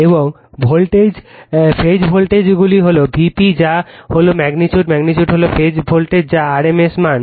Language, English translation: Bengali, And your phase voltage phase voltage is V p that is your that is your magnitude, magnitude is the phase voltage that is rms value